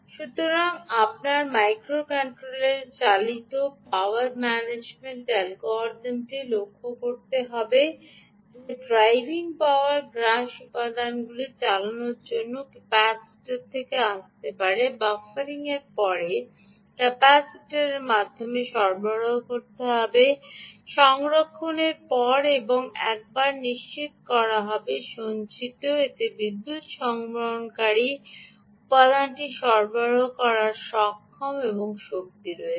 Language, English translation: Bengali, so power management algorithm that is running on your micro controller will have to note that the energy for driving ah power consuming components will have to come from the capacitor, will have to be delivered through the capacitor after buffering, after storing and ensuring that once its stored it has the power and power to deliver for the power consuming component